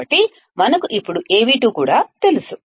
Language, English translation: Telugu, So, we now know Av2 as well